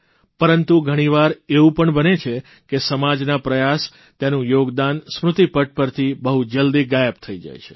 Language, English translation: Gujarati, But sometimes it so happens, that the efforts of the society and its contribution, get wiped from our collective memory